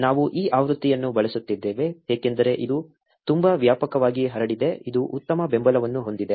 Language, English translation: Kannada, We are using this version because it is very wide spread, it has good support